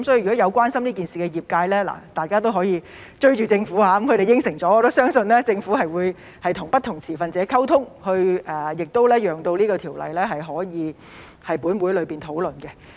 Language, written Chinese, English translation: Cantonese, 所以，關心這件事的業界可以"追"政府，他們應承了，我也相信政府會與不同持份者溝通，讓有關條例可以在本會討論。, Hence members of the profession who are concerned about this matter can go after the Government . They have given their word . I also believe the Government will communicate with different stakeholders so that the relevant legislation can be discussed in this Council